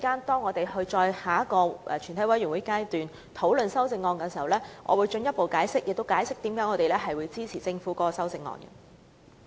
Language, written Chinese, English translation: Cantonese, 稍後在全體委員會審議階段討論修正案時，我會進一步解釋為何我們支持政府的修正案。, I will further explain why we support the amendments proposed by the Government later during the discussion on the amendments by the committee of the whole Council